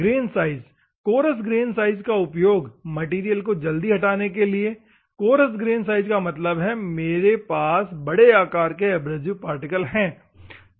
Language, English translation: Hindi, Grain size; coarse grain size for the fast material removal; assume that coarse grain size means I have a bigger particle